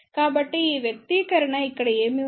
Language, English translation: Telugu, So, what this expression has here